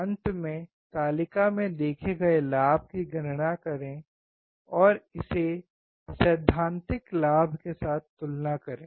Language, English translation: Hindi, Finally, calculate the gain observed in the table and compare it with the theoretical gain